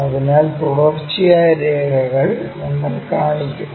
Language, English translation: Malayalam, So, continuous lines we will show